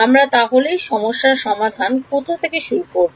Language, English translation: Bengali, How do I start solving this problem